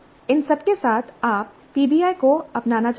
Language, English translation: Hindi, With all this, you want to adopt PBI, then what